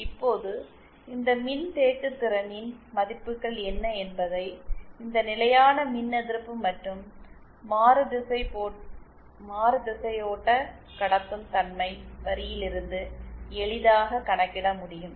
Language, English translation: Tamil, Now what with the values of these capacitance can easily be computed from this constant reactance and constant susceptance line